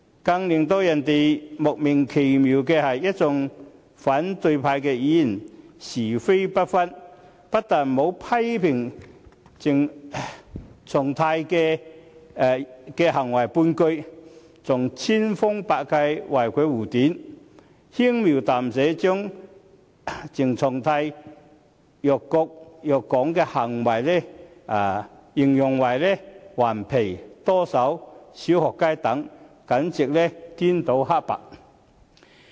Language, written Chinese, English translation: Cantonese, 更令人莫名其妙的是，一眾反對派議員是非不分，不但沒有批評鄭松泰的行為半句，還千方百計為其護短，輕描淡寫地將鄭松泰辱國辱港的行為形容為"頑皮"、"多手"、"小學雞"等，簡直顛倒黑白。, What is most baffling is that all Members of the opposition camp have failed to tell right from wrong . Not only have they not criticized the conduct of CHENG Chung - tai they have even tried every means to shield his wrongdoing to the extent of merely describing CHENG Chung - tais action of insulting the country and Hong Kong as mischievous playful and puerile